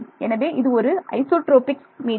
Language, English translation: Tamil, So, it is an isotropic medium